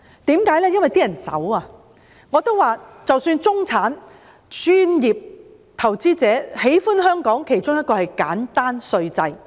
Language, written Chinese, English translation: Cantonese, 我也說過，中產人士、專業人士、投資者，喜歡香港的其中一個原因是簡單稅制。, I have also said that one of the things that middle - class people professionals and investors like about Hong Kong is the simple tax system